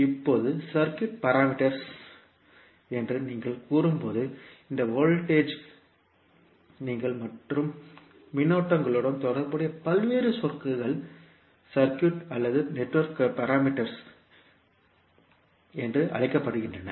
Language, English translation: Tamil, Now, when you say circuit parameters basically the various terms that relate to these voltages and currents are called circuit or network parameters